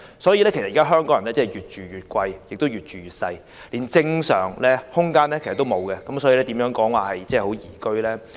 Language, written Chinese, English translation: Cantonese, 既然香港人"越住越貴，越住越細"，連正常的居住空間也欠奉，香港又怎能說是宜居呢？, While Hong Kong people have to pay more for flats their living space is getting smaller and smaller . When people do not have a normal living space how can Hong Kong be regarded as a liveable city?